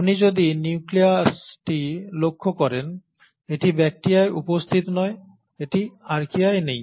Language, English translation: Bengali, If you were to look at the nucleus, it is not present in bacteria, it is not present in Archaea